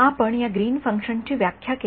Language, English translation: Marathi, We took this Green’s function definition